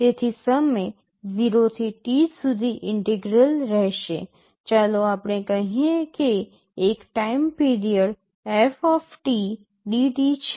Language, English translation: Gujarati, So, integral over the time 0 to T, let us say one time period f dt